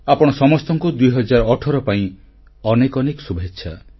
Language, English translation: Odia, And once again, best wishes for the New Year 2018 to all of you